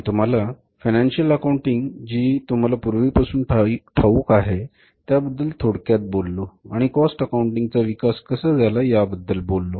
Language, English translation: Marathi, So I told you very briefly that the financial accounting which you already know and the cost accounting, how the cost accounting has developed